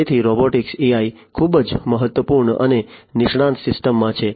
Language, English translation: Gujarati, So, the in AI in robotics is very important and in expert systems